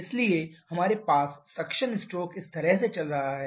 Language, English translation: Hindi, So, we have the suction stroke going on along this